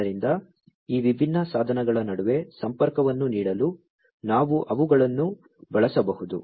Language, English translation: Kannada, So, we could use them to offer connectivity between these different devices